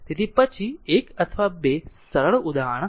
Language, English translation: Gujarati, So, next take a 1 or 2 simple example